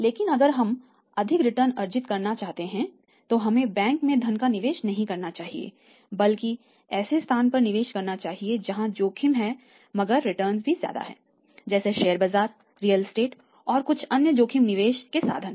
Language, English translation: Hindi, But if we want to earn more returns then we will have not to invest the funds in bank and have to invest the finance for example people who to stock market people go to the real estate and some other risk taking investment avenues